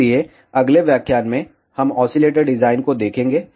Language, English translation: Hindi, So, in the next lecture, we will look at oscillator design